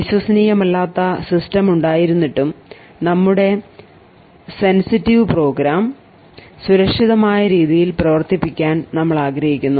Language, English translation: Malayalam, In spite of this untrusted system we would want to run our sensitive program in a safe and secure manner